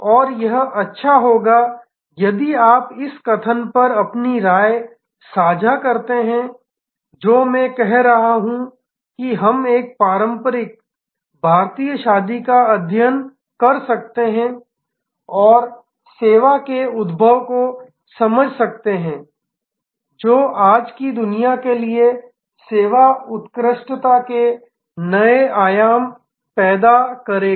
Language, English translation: Hindi, But, quite enjoyable package of service and it will be nice if you share your opinion on this the statement that I am making that we can study a traditional Indian wedding and understand the emergence of service eco system which will create new dimensions of service excellence in today's world